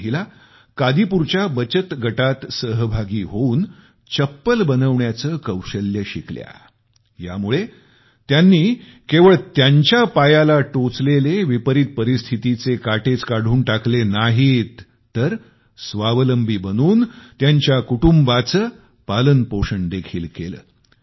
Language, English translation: Marathi, These women aligned withthe women selfhelp group of Kadipur, joined in learning the skill of making slippers, and thus not only managed to pluck the thorn of helplessness from their feet, but by becoming selfreliant, also became the support of their families